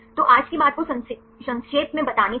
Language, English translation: Hindi, So, to summarize today’s talk